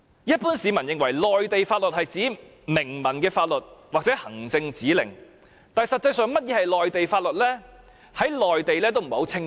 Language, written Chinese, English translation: Cantonese, 一般市民認為，內地法律是指明文的法律或行政指令，但實際上何謂"內地法律"，在內地也不是十分清晰。, While it is the common knowledge that the laws of the Mainland refer to explicit legal provisions or administrative directives the meaning of the so - called laws of the Mainland is not very clear in practice in the Mainland